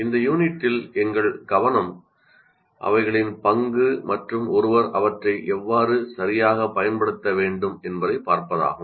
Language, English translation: Tamil, Our focus in this unit will be looking at their role and how exactly one should make use of this